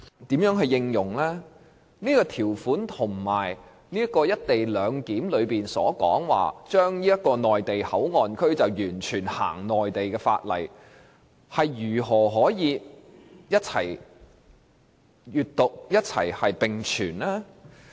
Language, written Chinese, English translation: Cantonese, 這項條文與"一地兩檢"安排所指，內地口岸區完全實施內地法例，如何可以一併理解和並存？, How should this section be interpreted and how should it co - exist with the full application of Mainland laws in MPA under the co - location arrangement?